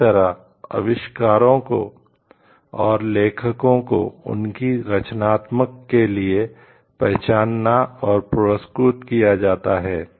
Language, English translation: Hindi, And that inventors and authors are therefore, recognized and rewarded for their creativity